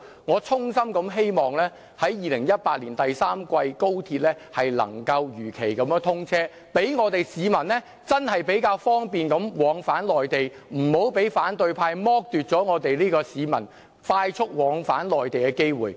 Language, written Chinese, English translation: Cantonese, 我衷心希望高鐵能夠在2018年第三季如期通車，讓市民較方便地往返內地，不要被反對派剝奪市民快速往返內地的機會。, I sincerely hope that XRL can be commissioned in the third quarter of 2018 so that the public can travel to and from the Mainland more conveniently . The opposition camp should not deprive the public of their opportunity of having a mode of transport which enables them to travel swiftly to and from the Mainland